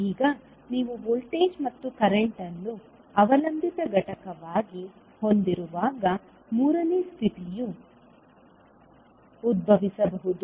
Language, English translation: Kannada, Now, third condition may arise when you have, voltage and current as a dependent component